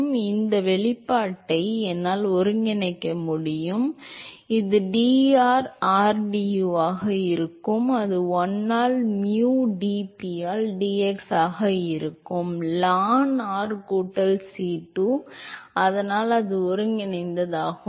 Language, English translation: Tamil, So, I can integrate this expression, so it will be rdu by dr, that is equal to 1 by mu dp by dx into r square by 2 plus c1 and u is 1 by mu dp by dx, r square by 4 plus c 1 ln r plus C2, so that is the integral